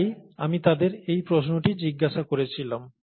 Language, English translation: Bengali, And, so, I asked them this question